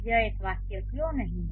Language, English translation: Hindi, Why this is not a sentence